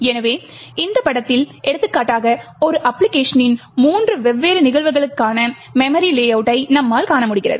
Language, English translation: Tamil, So, for example in this figure as we see over here which shows the memory layout for three different instances of the same application